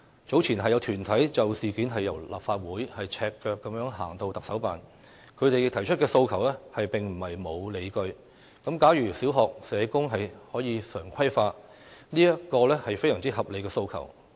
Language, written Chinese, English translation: Cantonese, 早前，有團體就事件由立法會大樓赤腳遊行至行政長官辦公室，他們提出的訴求並非沒有理據，例如小學社工常規化便是一個非常合理的訴求。, Earlier in response to such incidents some groups marched barefoot from the Legislative Council Complex to the Chief Executives Office . The demands put forth by them are not unjustified . For example regularizing the stationing of social workers in primary schools is a very reasonable demand